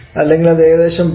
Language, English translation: Malayalam, 023 so it is equal to 0